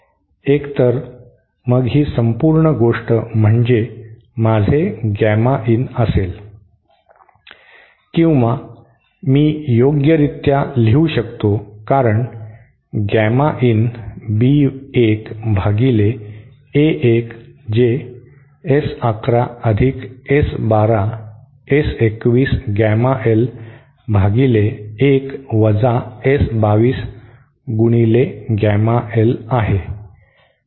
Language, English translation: Marathi, So then this whole thing should be my gamma inÉ Or I can write down properly as gamma in is equal to B 1 upon A 1 is equal to S 1 1 plus S 1 2 S 2 1 gamma l on 1 minus S 2 2 gamma l